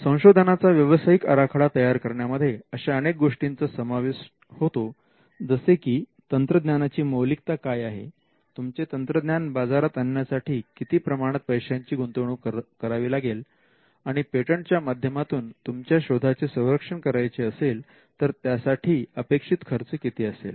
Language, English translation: Marathi, So, making a business plan would involve considering all these factors; what are the things, how value valuable is the technology, how much money you need to invest to bring the technology out into the market and the amount of expenses that you will incur in protecting the invention by way of patents